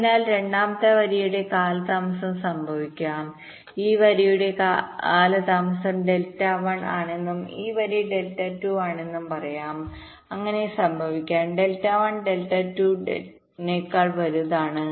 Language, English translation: Malayalam, so it may so happen that the delay of the second line, lets say the delay of this line, is delta one and this line is delta two